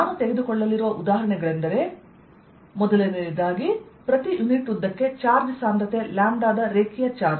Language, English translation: Kannada, the examples i am going to take are going to be one: a linear charge of charge density, lambda per unit length